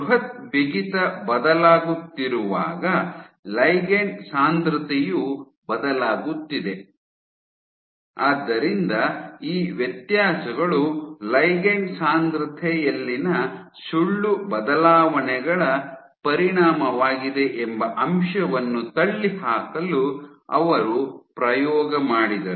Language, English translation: Kannada, So, while the bulk stiffness is changing, the ligand density is also changing; so to rule out the fact that these differences are the consequence of lie alterations in ligand density